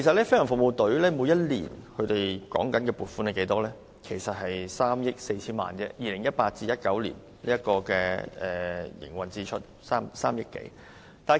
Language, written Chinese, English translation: Cantonese, 飛行服務隊每年獲得撥款只有3億多元，而 2018-2019 年度的營運支出便是3億 4,000 萬元左右。, GFS receives an annual funding of 300 million or so but in 2018 - 2019 its operating expenditure is forecast to reach 340 million